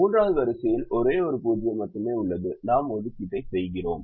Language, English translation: Tamil, the third column has only one zero, so we will make an assignment here to do that